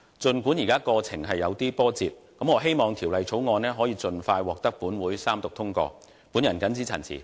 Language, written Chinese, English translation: Cantonese, 儘管現時的過程有些波折，但我希望《條例草案》可以盡快獲本會三讀通過。, Despite the current twists and turns I still hope for the early passage of the Bill after Third Reading in this Council